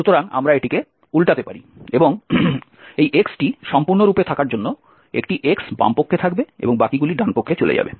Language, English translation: Bengali, So that we can invert it and having to have this x completely one x to the left hand side and the rest goes to the right hand side